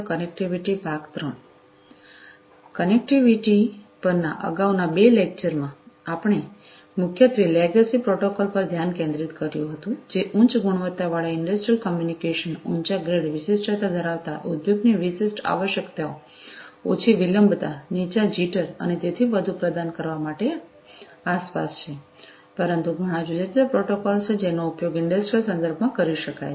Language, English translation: Gujarati, In the previous 2 lectures on Connectivity, we were primarily focusing on legacy protocols, which have been around for offering industrial communication of high quality, high grade, having specific, industry specific requirements of reliability, low latency, low jitter, and so on, but there are many, many different protocols that could be used in the industrial contexts